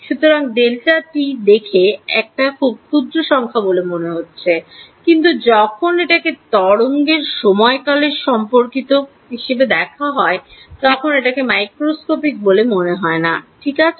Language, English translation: Bengali, So, delta t looks like a very small number, but when seen in relation to the time period of the wave it is not going to be some microscope in fact ok